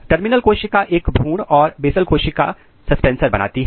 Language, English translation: Hindi, The terminal cells makes proper embryo and basal cells produces suspensor